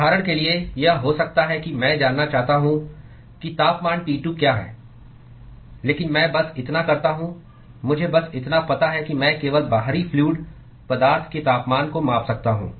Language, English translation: Hindi, For example, it could be I want to know what is the temperature T2, but I all I do all I know is I can only measure the temperatures of the outside fluid